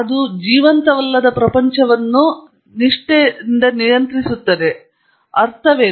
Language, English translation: Kannada, That is nonliving world is governed by loss; that’s what it means